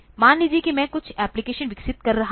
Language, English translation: Hindi, Say suppose I am developing some application ok